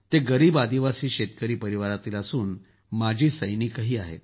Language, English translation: Marathi, He comes from a poor tribal farmer family, and is also an exserviceman